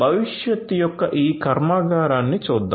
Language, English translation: Telugu, Let us look at this factory of the future